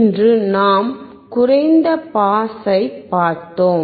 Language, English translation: Tamil, Today we have just seen the low pass